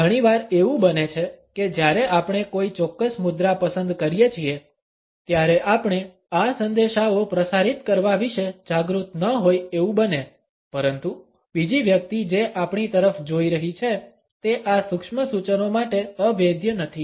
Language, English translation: Gujarati, Often it may happen that when we opt for a particular posture, we ourselves may not be aware of transmitting these messages, but the other person who is looking at us is not impervious to these subtle suggestions